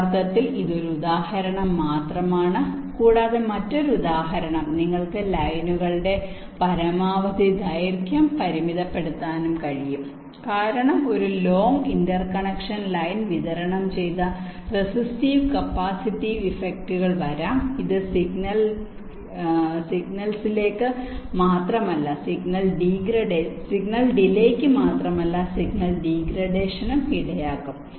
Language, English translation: Malayalam, this is just as an example, and also another example can be: you can also limit the maximum length of the lines because longer an interconnection line the distributed restive and capacitive effects can be coming which can lead to not only signal delays but also signal degradation